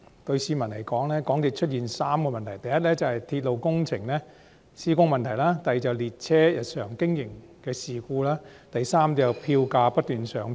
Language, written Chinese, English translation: Cantonese, 對市民來說，港鐵公司有3個問題：第一，是鐵路工程的施工問題；第二，是列車日常經營出現事故；第三，是票價不斷上漲。, Insofar as members of the public are concerned MTRCL has three problems first the problem with the execution of railway works; second occurrence of train incidents in the day - to - day operation; and third continuous increases in fares